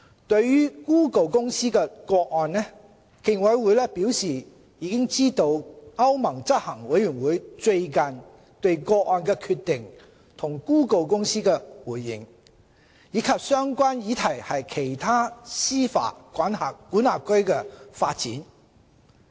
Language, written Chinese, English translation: Cantonese, 對於谷歌公司的個案，競委會表示知悉歐盟執行委員會最近對個案的決定及谷歌公司的回應，以及相關議題在其他司法管轄區的發展。, On the Google Inc case the Commission indicated that it is aware of the European Commissions recent decision and the response of Google Inc as well as the development of the relevant issue in other jurisdictions